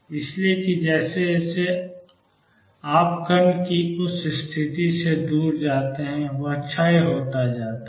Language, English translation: Hindi, So, that as you go far away from that position of the particle it decay